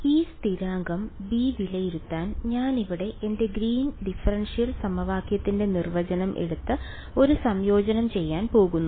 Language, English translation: Malayalam, So, to evaluate this constant b, I am going to take my definition of my Green’s differential equation over here and do an integral ok